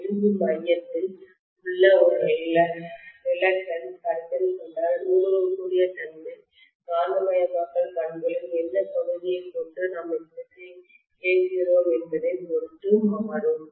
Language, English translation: Tamil, If the reluctance in the iron core we are considering the permeability keeps on changing, depending upon at what portion of the magnetisation characteristics we are operating the machine, right